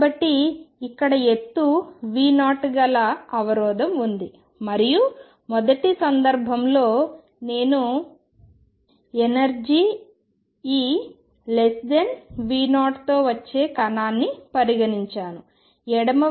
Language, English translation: Telugu, So, here is the barrier of height V 0 and first case I consider is a part of the coming in at energy e less than V 0 the left hand side is V equal 0